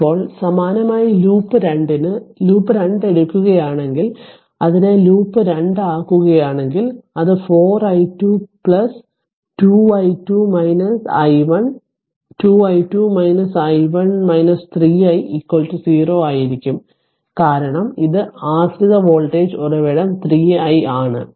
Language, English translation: Malayalam, Now, similarly for loop 2 if you take loop 2, then your if you make it loop 2 it will be 4 i 2 4 i 2 right plus 2 i 2 i 2 minus i 1 2 i 2 minus i 1 right minus 3 i is equal to 0, because it is dependent voltage source is 3 i